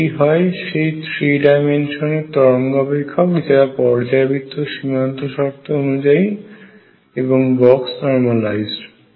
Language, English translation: Bengali, This is the wave function in 3 dimensions with periodic boundary conditions and box normalized